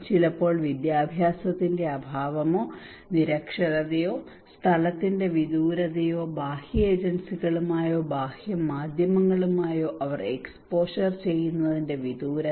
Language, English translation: Malayalam, Sometimes because of lack of education or illiteracies or remoteness of the place or remoteness of their exposure to external agencies or external like media